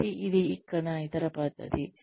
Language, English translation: Telugu, So, that is the other method here